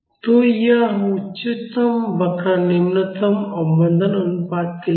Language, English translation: Hindi, So, this highest curve is for the lowest damping ratio